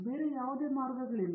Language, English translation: Kannada, There is no other way out that